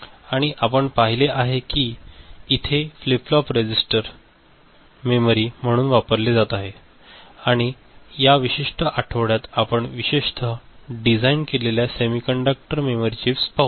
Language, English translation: Marathi, And ,we have seen flip flop register they are being used as memory and in this particular week we shall look more into semiconductor memory chips, specially designed semiconductor memory chips